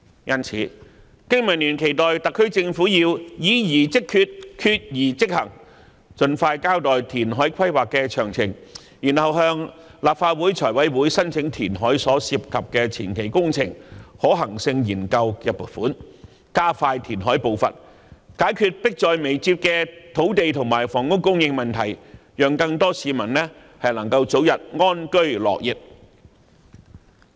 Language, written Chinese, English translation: Cantonese, 因此，經民聯期待特區政府議而即決，決而即行，盡快交代填海規劃詳情，然後向立法會財務委員會申請填海所涉及的前期工程可行性研究的撥款，加快填海步伐，解決迫在眉睫的土地和房屋供應問題，讓更多市民能夠早日安居樂業。, Therefore BPA hopes that the SAR Government can proceed with the matter decisively explain the details of the reclamation plan as soon as possible and present to the Finance Committee of the Legislative Council its funding request concerning a preliminary feasibility study on the reclamation project so as to speed up the pace of reclamation as a means of resolving the dire land and housing supply problems and in turn enable more people to live and work in contentment as early as possible